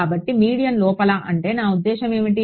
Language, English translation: Telugu, So, what do I mean by inside the medium